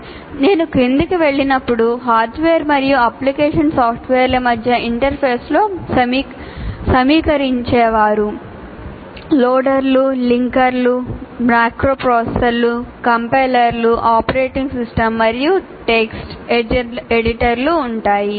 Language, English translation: Telugu, And now once again when I go down, interface between hardware and application software consists of assemblers, loaders and linkers, macro processors, compilers, operating systems and text editor